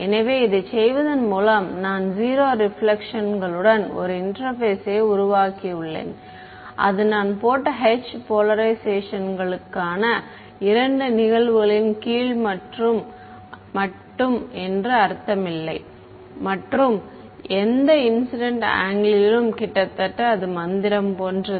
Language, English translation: Tamil, So, by doing this what have I done I have created an interface with 0 reflections not just I mean under two cases for both polarizations and any incident angle right it is almost like magic